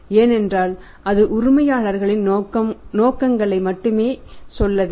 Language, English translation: Tamil, Because it just got to tell the intentions of the owners